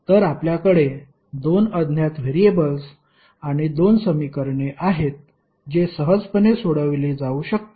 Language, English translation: Marathi, So, you have two unknown variables and two equations which can be easily solved